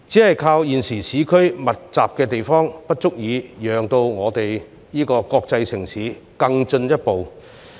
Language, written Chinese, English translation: Cantonese, 單靠現時在市區作密集發展，並不足以讓我們這個國際城市更進一步。, High density development in urban areas alone will not be enough to make this international city of ours to move to a higher level